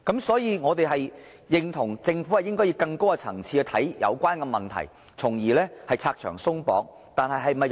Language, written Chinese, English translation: Cantonese, 所以，我們認同政府應該以更高層次來看待有關問題，從而拆牆鬆綁。, For this reason we agree that the Government should address this issue at a higher level so as to abolish various regulations and restrictions